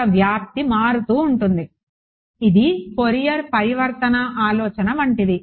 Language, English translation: Telugu, Amplitude is varying that I am; it is like a like a Fourier transform idea